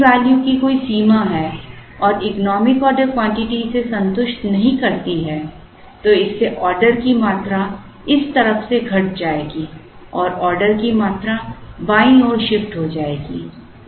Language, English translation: Hindi, If there is a limit on the money value and the economic order quantities do not satisfy that, then that would make the order quantities decrease from this side and the order quantity will shift to the left